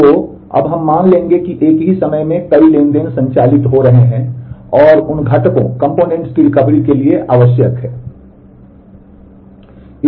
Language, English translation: Hindi, So, now, we will assume that there are multiple transactions operating at the same time and the components that are required for the recovery of those